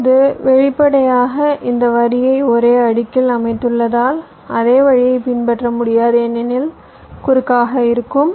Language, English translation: Tamil, now, obviously, since we have laid out this line on the same layer, you cannot follow the same route because there would be cross